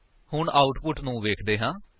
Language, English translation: Punjabi, Let us see the output